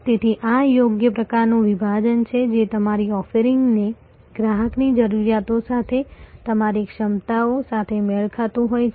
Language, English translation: Gujarati, So, this the proper type of segmentation matching your offerings your competencies with customer's requirements